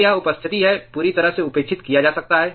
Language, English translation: Hindi, So, it is presence can completely be neglected